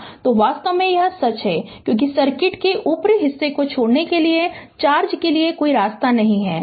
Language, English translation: Hindi, So in fact, this is the true because there is no path for charge to leave the upper part of the circuit